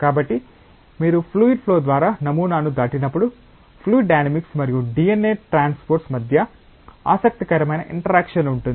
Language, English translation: Telugu, So, you when you pass the sample through a fluid flow there is an interesting interaction between fluid dynamics and the transport of DNA